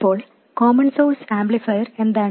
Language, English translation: Malayalam, What is the common source amplifier